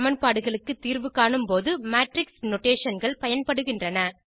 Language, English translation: Tamil, Matrix notations are used while solving equations